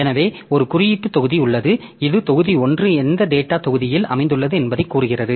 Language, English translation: Tamil, So, there is an index block so that tells the block one is located at the, which data block